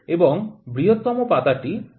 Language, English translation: Bengali, And the largest leaf is 2